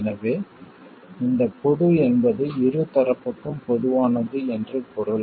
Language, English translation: Tamil, So this common means that it is common to the two sides